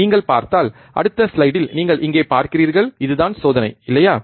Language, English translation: Tamil, And if you see, in the next slide you see here this is the experiment, right